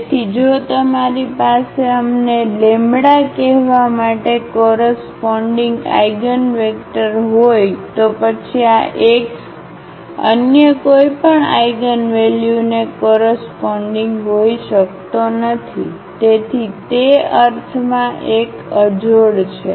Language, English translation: Gujarati, So, if you have an eigenvector corresponding to let us say the lambda, then this x cannot correspond to any other eigenvalue, so it is a unique in that sense